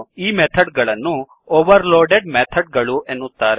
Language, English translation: Kannada, These methods are called overloaded methods